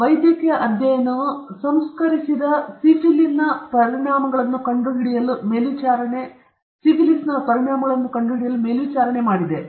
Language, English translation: Kannada, And the medical study monitored to discover the effects of untreated syphilis